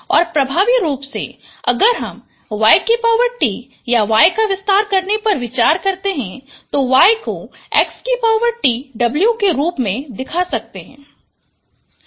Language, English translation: Hindi, And effectively if I if I consider expand y transpose or y, y is it has been shown it has been x transpose w